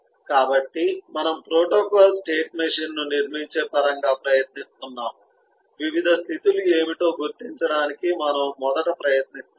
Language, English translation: Telugu, so we are just trying to, in terms of building a protocol state machine, we are just first trying to identify what eh the different states could be